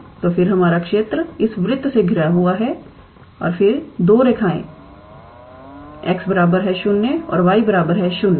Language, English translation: Hindi, So, then our region is bounded by this circle and then these two lines x equals to 0 and y equals to 0